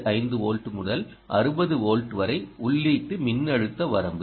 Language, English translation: Tamil, so, input: three point five volts to sixty volts, input voltage range